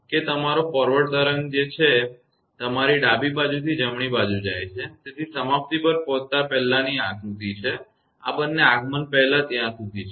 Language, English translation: Gujarati, That it is your forward wave moving from your left to the right; so, this has the diagram before arrive at the termination, up to this it is before arrival these two arrival